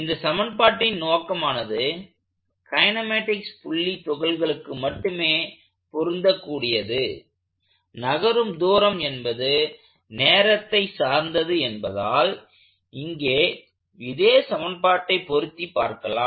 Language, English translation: Tamil, But, an equation that was originally intended for point particle kinematics, distance travelled is a function of time would perfectly apply here